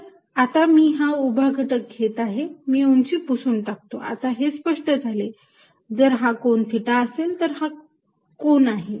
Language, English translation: Marathi, Now, I take it is vertical component, so if this let me erase this height now, now that it is clear what it is, if this angle is theta, so is this angle